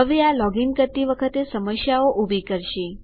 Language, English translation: Gujarati, Now this causes problems while logging in